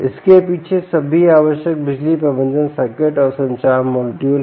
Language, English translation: Hindi, behind these are all the required power management circuits and the communication module